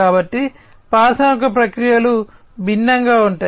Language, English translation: Telugu, So, industrial processes are different